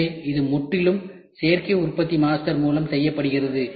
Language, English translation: Tamil, So, this is completely made through additive manufacturing master